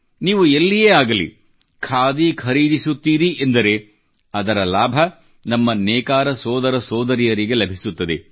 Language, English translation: Kannada, Whenever, wherever you purchase a Khadi product, it does benefit our poor weaver brothers and sisters